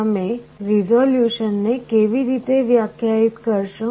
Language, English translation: Gujarati, How do you define the resolution